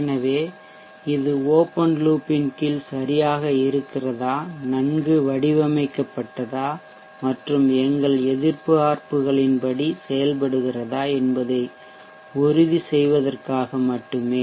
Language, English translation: Tamil, So this is just to ensure that in under open loop or is the system okay, well designed and working as per our expectations